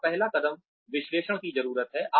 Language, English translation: Hindi, The first step here is needs analysis